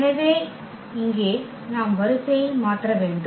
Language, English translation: Tamil, So, this order if we change for instance the order here